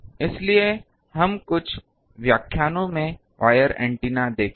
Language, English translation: Hindi, So, we will see wire antennas in few lectures